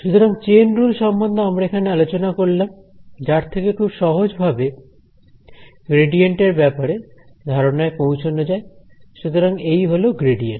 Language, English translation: Bengali, So, this was about the chain rule which gave us the a very convenient way to arrive at the idea of a gradient so, this is the gradient